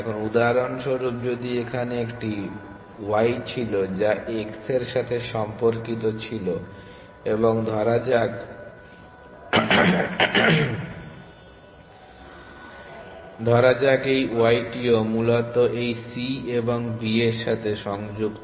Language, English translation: Bengali, Now, for example, if there was a y here which was related to x and let us say this y also connected to this c and b essentially